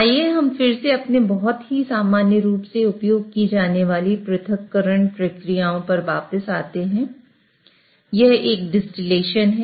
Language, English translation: Hindi, So, let us again go back to our very commonly used separation processes, it's a distillation